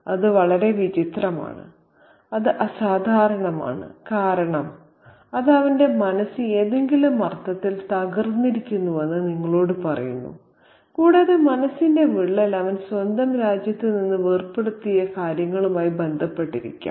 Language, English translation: Malayalam, And that is very, very odd, that's unusual, and because that tells you that his psyche is fractured in some sense and the fracturing of that psyche could be associated with his break from his own nation